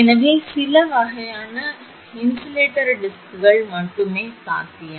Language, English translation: Tamil, So, only few types of insulator discs are possible